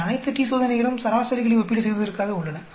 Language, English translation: Tamil, All these t Tests are meant for comparing means